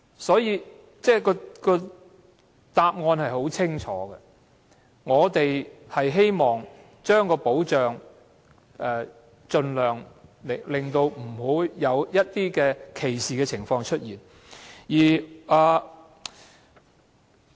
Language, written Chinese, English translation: Cantonese, 所以，答案相當清楚，我們只是希望盡量令保障範圍不會出現歧視的情況。, Therefore the answer is quite clear . All we want is pre - empting discrimination within the scope of protection